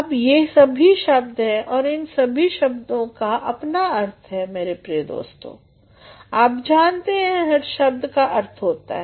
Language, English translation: Hindi, ” Now all these are words and these words have got meanings also my dear friends, as you know all words are meaning